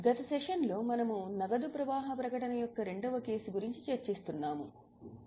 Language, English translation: Telugu, In the last session, in the last session we were discussing case number 2 of cash flow statement